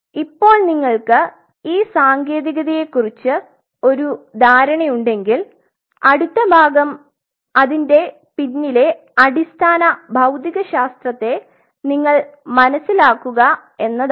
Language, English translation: Malayalam, Now if you have a hag on this technique if you really understood the technique the next part is now you understand the basic physics behind it ok